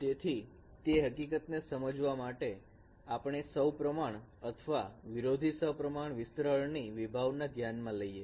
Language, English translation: Gujarati, So to understand that fact, let us consider a concept of symmetric or anti symmetric extension of a finite sequence